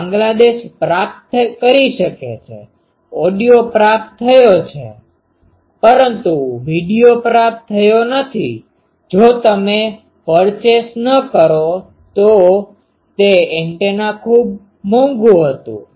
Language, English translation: Gujarati, So, Bangladesh can be received, but audio was received, but video was not received means if you do not purchase that that was a big costly that antenna